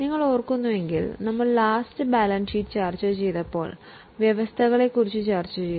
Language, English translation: Malayalam, If you remember, we have discussed provisions when we discuss the balance sheet